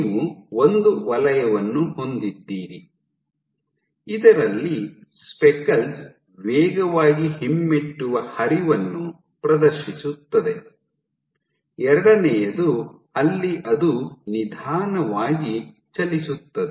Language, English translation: Kannada, So, you have one zone in which speckles exhibit fast retrograde flow, second one where moves slowly